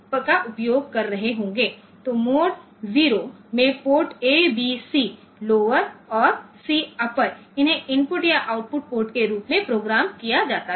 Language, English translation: Hindi, So, in mode 0 any of the ports A, B, C lower and C upper, they can be programmed as input or output port